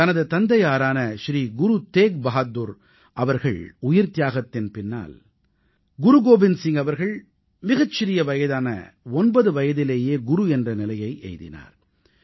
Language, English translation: Tamil, After the martyrdom of his father Shri Guru TeghBahadurji, Guru Gobind Singh Ji attained the hallowed position of the Guru at a tender ageof nine years